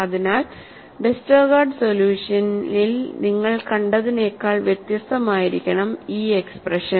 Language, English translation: Malayalam, So, the expression should be different than what you had seen in Westergaard solution